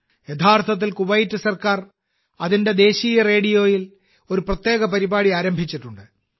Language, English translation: Malayalam, Actually, the Kuwait government has started a special program on its National Radio